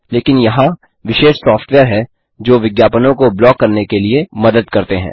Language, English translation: Hindi, But there are specialized software that help to block ads